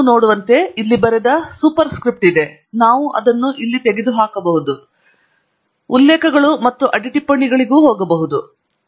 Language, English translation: Kannada, As you can see there is a Super script written here, we remove that here, and say OK, and then OK here, and we then also go to References and Footnotes